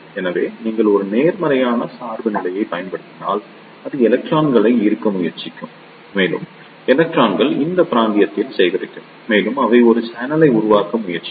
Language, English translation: Tamil, So, if you apply a positive bias, in that case it will try to attract the electrons and the electrons will gathers in this region and they will try to form a channel